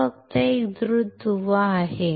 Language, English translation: Marathi, This is just a quick link